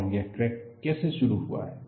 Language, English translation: Hindi, And how this crack has been initiated